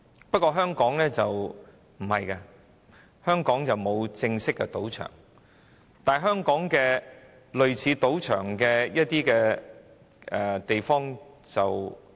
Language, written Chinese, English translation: Cantonese, 不過，香港雖然沒有正式賭場，但完全不缺類似賭場的地方。, However although there are no official casinos in Hong Kong there is no lack of similar venues similar to a casino